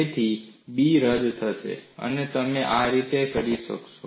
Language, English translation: Gujarati, So, the b will get cancelled, and that is how you will get it